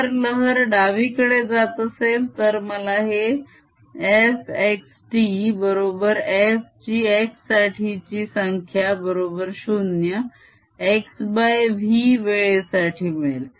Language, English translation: Marathi, if the wave was traveling to the left, i would have had f x t equals f at x is equal to zero at time x over v